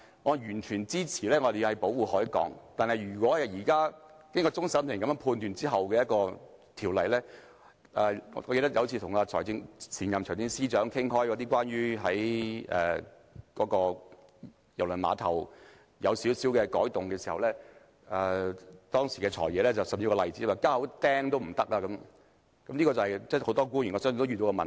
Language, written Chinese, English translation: Cantonese, 我完全支持保護海港，但若現時終審法院的判決......我記得有一次跟前任財政司司長討論對郵輪碼頭作出少許改動的問題，當時"財爺"說，連釘一口釘也不可以，我相信這是很多官員都遇到的問題。, While I fully support protecting our Harbour but if the current judgment of the Court of Final Appeal I remember that when I discussed with the former Financial Secretary about making some minor amendment to the Cruise Terminal he said that one could not even insert a nail . I believe many officials have come across this problem